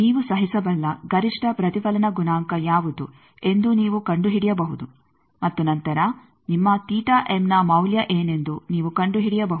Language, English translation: Kannada, You can find out what is the maximum reflection coefficient you can tolerate, and then you can find what the value of your theta m is